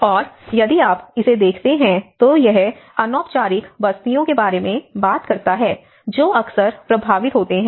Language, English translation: Hindi, And if you look at it, it talks about the informal settlements which are often tend to be affected